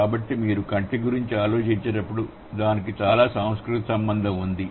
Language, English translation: Telugu, So, when you are thinking about I, it does have a lot of cultural relation associated with it